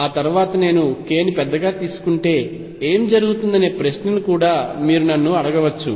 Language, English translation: Telugu, You may also ask me question what happens if I take k larger after I can solve this equation for k larger